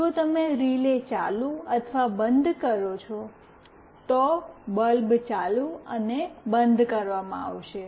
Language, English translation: Gujarati, If you make relay ON or OFF, the bulb will be made ON and OFF